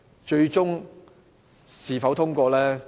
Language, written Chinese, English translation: Cantonese, 至於最終它是否獲通過？, So will it be passed in the end?